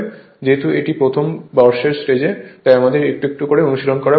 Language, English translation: Bengali, Because it is a first year level, so little bit little bit practice is necessary right